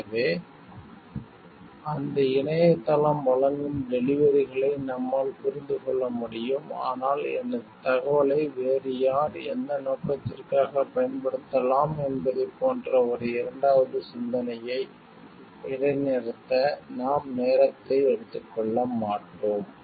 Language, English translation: Tamil, So, that we can grasp the whatever deliverables that website is giving, but we do not take time to pause and take a second thought like who else can use my information and for what purpose